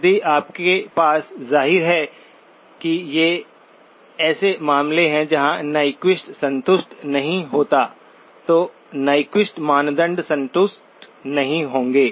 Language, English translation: Hindi, If you have, obviously these are cases where Nyquist will not be satisfied, Nyquist criterion not satisfied